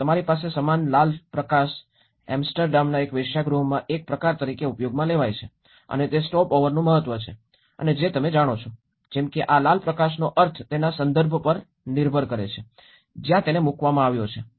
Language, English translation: Gujarati, Now, you have the same red light is used in as a kind of in a brothel houses in Amsterdam and is the significance of the stopover and you know, like that it depends the meaning of this red light depends on its context where it is placed